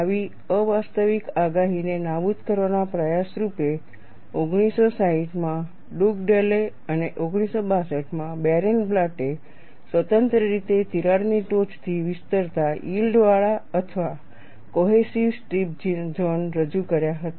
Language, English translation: Gujarati, In an effort to eliminate such an unrealistic prediction, Dugdale in 1960 and Barenblatt 1962 independently introduced yielded or cohesive strip zones extending from the crack tip